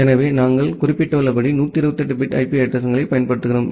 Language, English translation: Tamil, So, as we have mentioned that, we use a 128 bit IP addresses